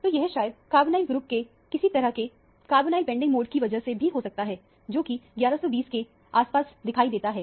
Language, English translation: Hindi, So, this might be actually due to some kind of a carbonyl bending mode of the carbonyl group, which might be appearing around 1120 or so